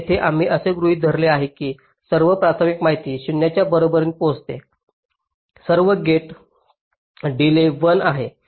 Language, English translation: Marathi, so here we assume that all primary inputs arriving at t equal to zero, all gate delays are one